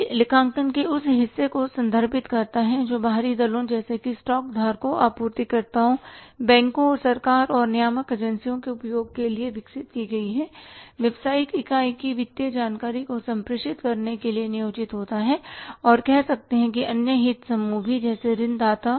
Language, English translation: Hindi, We all understand what the financial accounting is it refers to that part of accounting which is employed to communicate the financial information of the business unit developed for the use of external parties such as stockholders, suppliers, banks, government and regulatory authorities and say maybe the other interest groups like lenders